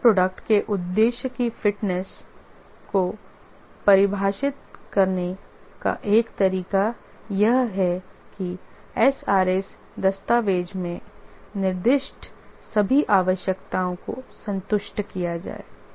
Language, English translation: Hindi, One way to define the fitness of purpose of a software product is to say that all the requirements specified in